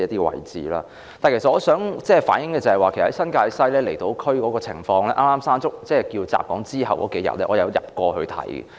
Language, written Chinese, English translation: Cantonese, 但是，我想反映新界西和離島區的情況，在颱風"山竹"襲港後的數天，我曾前往視察。, Nonetheless I wish to speak on the situation of New Territories West and the outlying islands where I visited several days after the passage of Typhoon Mangkhut